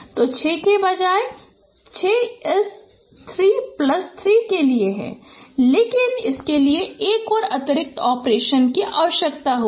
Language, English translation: Hindi, So instead of six, six is for this three plus three but this will require another additional operation